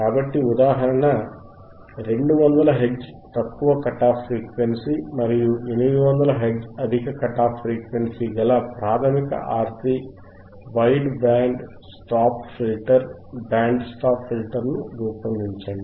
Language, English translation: Telugu, So, example is, design a wide band design a basic wide band RC band stop filter with a lower cut off frequency of 200 Hertz and a higher cut of frequency off 800 Hertz